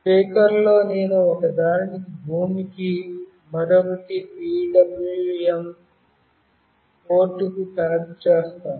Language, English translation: Telugu, The speaker I will be connecting one to ground and another to one of the PWM port